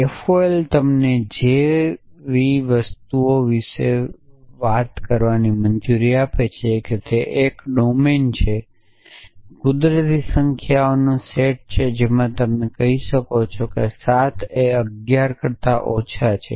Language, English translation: Gujarati, FOL allows you to talk about things like that essentially of it is a domine is a set of natural numbers you might say 7 are less than 11 essentially